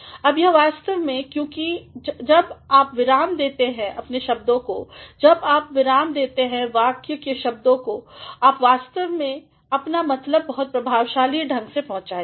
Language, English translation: Hindi, Now, this will actually because when you punctuate your sentences, when you punctuate the words of the sentence you are actually going to convey your sense very effectively